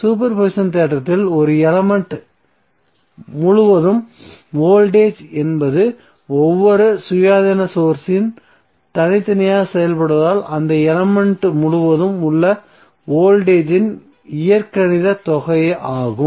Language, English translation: Tamil, In super position theorem the voltage across an element is the algebraic sum of voltage across that element due to each independence source acting alone